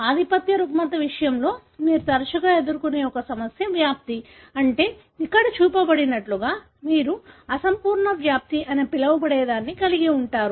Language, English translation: Telugu, One problem that often you face in case of dominant disorder is penetrance, meaning that you have what is called as incomplete penetrance, like what is shown here